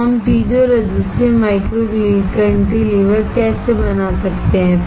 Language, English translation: Hindi, So, how we can fabricate piezo resistive micro cantilever